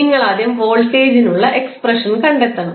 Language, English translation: Malayalam, You have to first find the expression for voltage